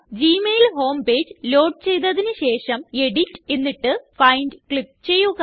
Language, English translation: Malayalam, When the gmail home page has loaded, click on Edit and then on Find